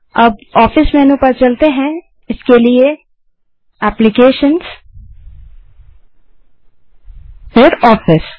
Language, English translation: Hindi, Now lets go to office menu i.e applications gtOffice